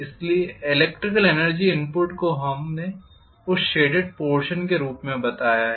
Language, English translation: Hindi, So the electrical energy input we have accounted for as the area across that shaded portion